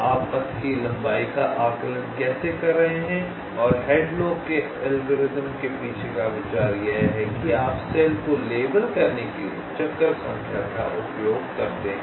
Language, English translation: Hindi, ok, so this is how you are estimating the length of the path and the idea behind hadlock algorithm is that you use the detour numbers to label the cells